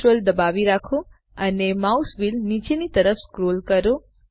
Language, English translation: Gujarati, Hold Ctrl and scroll the mouse wheel downwards